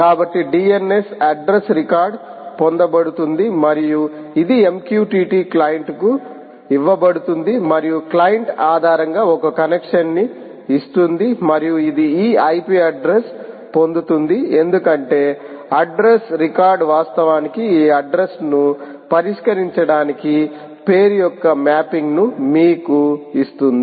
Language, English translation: Telugu, so dns address record will be fetched, ah and it will be given to the mqtt client and the client will make a connection based on and it will get this ip address because address record will actually give you the mapping of name to address, that address will come